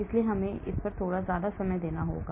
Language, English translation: Hindi, so we have to spend lot of time on this